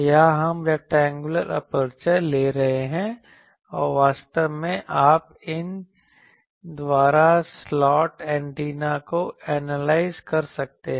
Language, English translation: Hindi, Here, we are taking rectangular aperture and this aperture actually you see this is the way you can analyze actually slot antennas by these